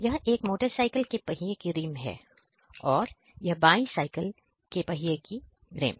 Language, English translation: Hindi, So, this is one such rim of a motor cycle, and this is the rim of a bicycle